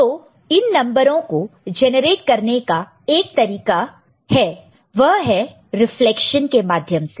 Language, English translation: Hindi, So, one such method, one such method is through reflection